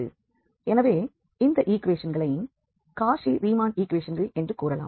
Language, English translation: Tamil, So, these equations are called the Cauchy Riemann equations